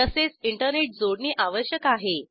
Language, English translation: Marathi, You will also require Internet connectivity